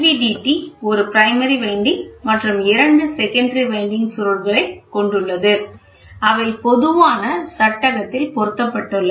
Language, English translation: Tamil, The LVDT comprises of a primary this is primary and two secondary winding coils; that are mounted on a common frame, ok